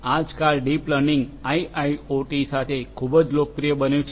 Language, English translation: Gujarati, Nowadays, deep learning along with IoT has become very popular together